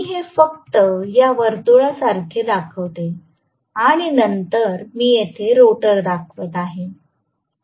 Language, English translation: Marathi, Let me just show it like this a circle and then I am going to show the rotor here